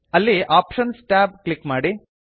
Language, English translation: Kannada, Click on the Options tab